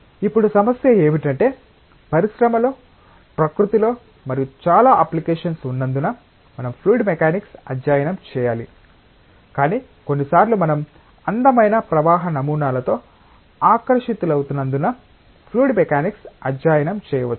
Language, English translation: Telugu, Now, the issue is that should we study fluid mechanics just because there are so many applications in the industry, in the nature and so on, but sometimes we may study fluid mechanics just because we are fascinated with beautiful flow patterns